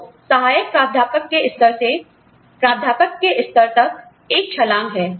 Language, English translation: Hindi, So, there is a jump from, say, the level of assistant professor, to associate professor